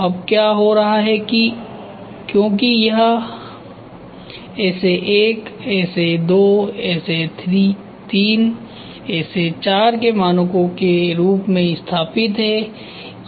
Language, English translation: Hindi, Now, What is happening in since it is established as standards SA1 SA2 SA3 and SA4